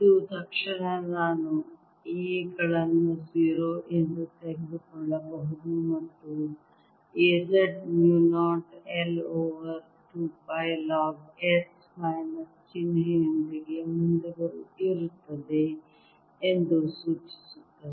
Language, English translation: Kannada, this immediately suggest that i can take a s to be zero and a z is mu, not i, over two pi logs with the minus sign in front